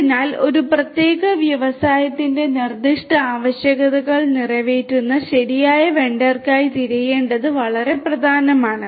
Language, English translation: Malayalam, So, it is very important to look for the correct vendor that will cater to the specific requirements that a particular industry has